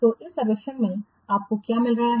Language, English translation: Hindi, So from this survey what you are getting